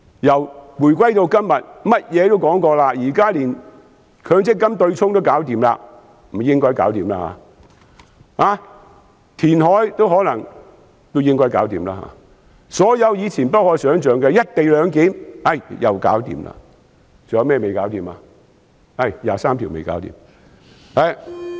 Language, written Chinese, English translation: Cantonese, 由回歸至今，甚麼也說過，現在甚至強制性公積金取消對沖也應該解決了，填海也應該解決了，所有以前不可想象的，如"一地兩檢"，也解決了，還有甚麼未解決呢？, Now a solution has supposedly been found for even the abolition of the offsetting arrangement under the Mandatory Provident Fund Scheme . The same goes for the reclamation . So given that a solution previously unimaginable has also been found for the co - location arrangements for example what is not yet resolved?